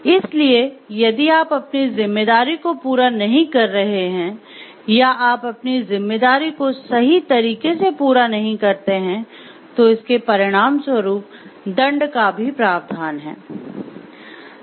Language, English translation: Hindi, So, if you are not meeting up your responsibility, you are not up to the mark for meeting up your responsibility there is a consequence penalty off for failure also